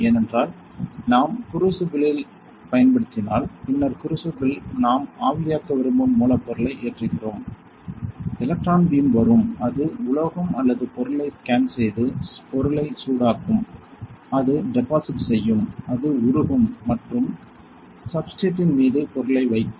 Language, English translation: Tamil, Because in that case we will be using crucible right and then in the crucible, we are loading the source material that we want to evaporate electron beam will come and it will scan the metal or material and it will heat the material; it will deposit it will melt and deposit the material on the substrate